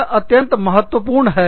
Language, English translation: Hindi, These are very important